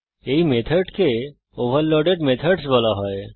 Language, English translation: Bengali, These methods are called overloaded methods